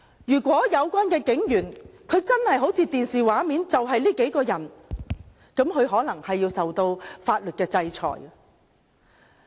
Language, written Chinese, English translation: Cantonese, 如果有關警員真的好像電視畫面顯示般，那麼他們便可能要受到法律制裁。, If the police officers really did as shown on the television then they may be subject to sanctions in law